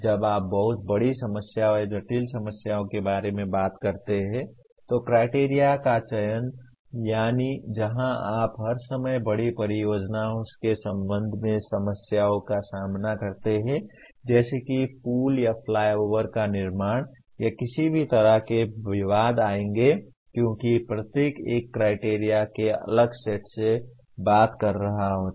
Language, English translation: Hindi, When you talk about very big problems or complex problems then selection of criteria, that is where you all the time get into problems with regard to large projects like constructing a bridge or a flyover or any number of controversies will come because each one is talking from a different set of criteria